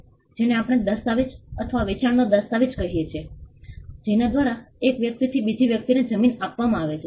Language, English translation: Gujarati, What we call the deed or the sale deed, by which a land is conveyed from one person to another